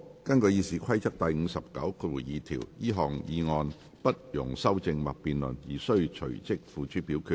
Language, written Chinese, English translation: Cantonese, 根據《議事規則》第592條，這項議案不容修正或辯論而須隨即付諸表決。, In accordance with Rule 592 of the Rules of Procedure the motion shall be voted on forthwith without amendment or debate